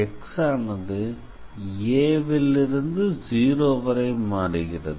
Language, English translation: Tamil, So, on C1 x is varying from 0 to a